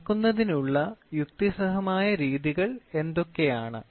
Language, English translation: Malayalam, What are rational methods for measurement